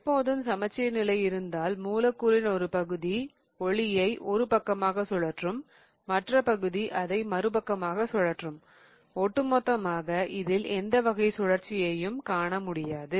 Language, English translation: Tamil, If you have a plane of symmetry, what happens is that a part of the molecule is going to rotate it towards one side, the other part will rotate it towards the other side and overall you do not see any rotation happening